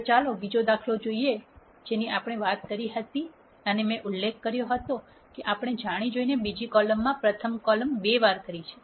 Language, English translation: Gujarati, Now, let us take the other example that we talked about where I mentioned that we have deliberately made the second column twice the rst column